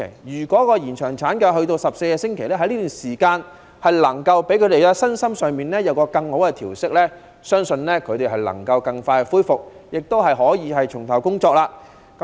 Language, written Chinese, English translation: Cantonese, 如果延長產假至14周，婦女的身心在這段時間有更佳的調息，相信能夠更快恢復，亦可以重投工作。, When maternity leave can be extended to 14 weeks women can have better adjustment and rest both psychologically and physically during this period of time . As such they can recover more quickly and can return to work more readily